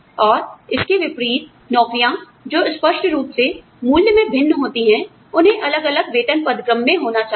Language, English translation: Hindi, And conversely, jobs that clearly differ in value, should be in different pay grades